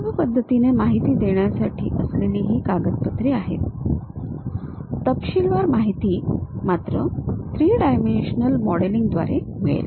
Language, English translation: Marathi, These are just a documentation to give us easy information, the detailed information we will get only through three dimensional modelling